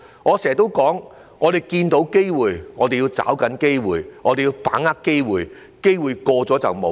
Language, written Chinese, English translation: Cantonese, 我經常說，我們看到機會，我們要抓緊機會，我們要把握機會，機會一瞬即逝。, As I always say we have to seize any opportunities that arise because they will disappear in the blink of an eye